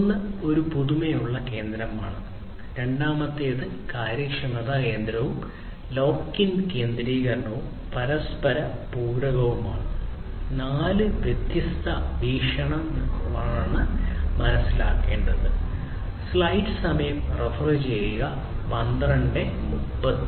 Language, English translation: Malayalam, One is the novelty centricity, second is the efficiency centricity, lock in centricity, and the complementarity; these are the four different perspectives four different aspects that will need to be understood